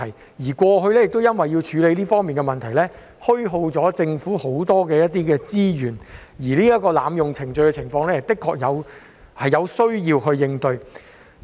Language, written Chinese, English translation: Cantonese, 政府過去因為要處理這方面的問題，虛耗了很多資源，而濫用程序的情況，的確有需要處理。, In the past this problem has cost the Government a lot of resources . But when the procedure is abused we must deal with it